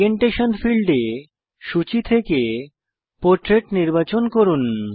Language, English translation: Bengali, In the Orientation field, click on the drop down list and select Portrait